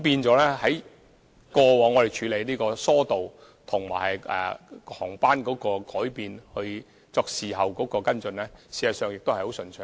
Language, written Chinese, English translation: Cantonese, 所以，過往我們處理疏導，以及就航班改變作事後跟進，事實上都很順暢。, Hence we have been working smoothly in easing the traffic flow and following up on flight changes